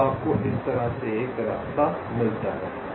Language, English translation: Hindi, so you get a path like this